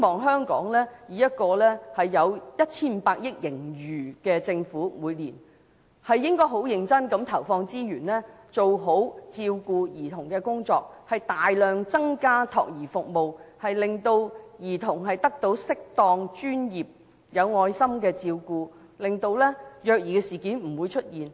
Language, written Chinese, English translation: Cantonese, 香港每年有 1,500 億元盈餘，我希望政府會十分認真地投放資源做好照顧兒童的工作，大量增加託兒服務，令兒童得到適當、專業、有愛心的照顧，令虐兒事件不會出現。, Hong Kong has a surplus of 150 billion annually . I hope that the Government will seriously plough in resources to take care of children properly by increasing the provision of child care services substantially to provide children with suitable professional and compassionate care so that incidents of child abuse will not happen again